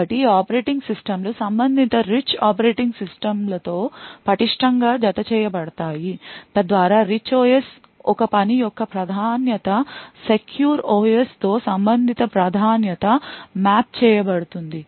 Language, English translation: Telugu, So, these operating systems are tightly coupled to the corresponding rich operating systems so that a priority of a task in the Rich OS can get mapped to a corresponding priority in the secure OS